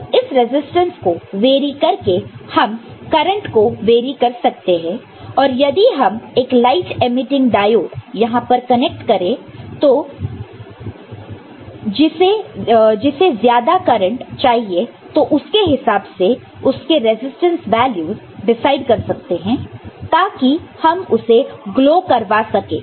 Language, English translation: Hindi, Now, by varying this resistance we can vary the amount of current and if you are connecting say, a light emitting diode over here which requires more current and corresponding resistance values can be decided here to make it glow